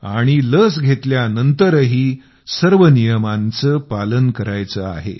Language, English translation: Marathi, Even after getting vaccinated, the necessary protocol has to be followed